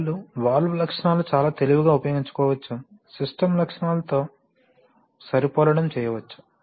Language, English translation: Telugu, Sometimes, you now valve characteristics can be very cleverly used to, you know match the, match the system characteristics